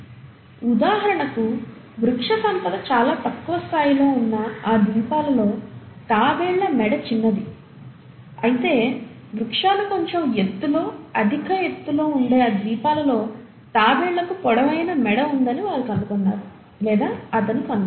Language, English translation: Telugu, For example, in those islands where the vegetations were found at a much lower level, the neck of the tortoises were smaller, while in those islands where the vegetations were slightly at a higher level at a higher height, you found, or he found rather that the tortoises had a longer neck